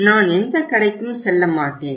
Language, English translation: Tamil, I will not go to any store